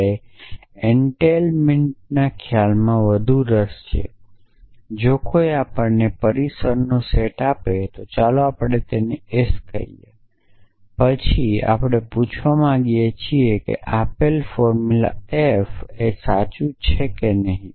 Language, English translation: Gujarati, So, we are more interested in the notion of entailment that somebody give us the set of premises let us call them s then we want to ask whether a given formula f is true or not essentially